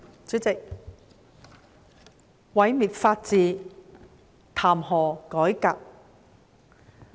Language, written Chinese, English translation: Cantonese, 主席，毀滅法治，談何改革？, President when the rule of law is destroyed will reforms be possible?